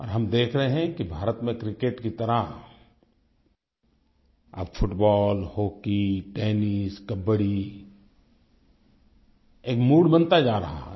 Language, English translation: Hindi, As with Cricket, there's now increasing interest in Football, Hockey, Tennis, and Kabaddi